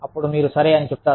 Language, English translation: Telugu, Then, you will say, okay